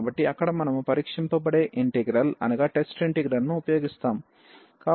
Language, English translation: Telugu, So, there we will be using some this test integral